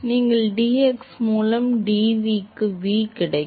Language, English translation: Tamil, You get for v into dv by dx